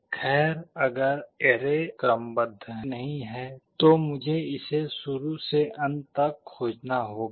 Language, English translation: Hindi, Well if the if the array was not sorted, then I would have to search it from the beginning to the end